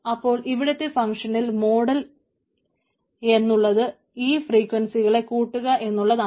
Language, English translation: Malayalam, so that functional model is summing up the frequencies of the things